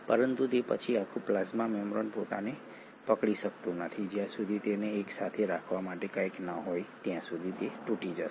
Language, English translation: Gujarati, But then the whole plasma membrane cannot hold itself, it will end up collapsing unless there is something to hold it together